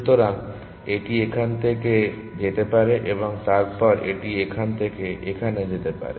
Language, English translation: Bengali, So, it may go from here to here, and then it may go from here to here